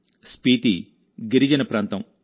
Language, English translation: Telugu, Spiti is a tribal area